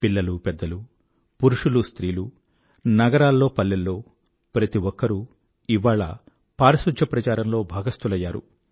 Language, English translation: Telugu, The old or the young, men or women, city or village everyone has become a part of this Cleanliness campaign now